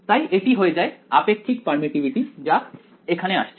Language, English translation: Bengali, So, it becomes the relative permittivity comes in a way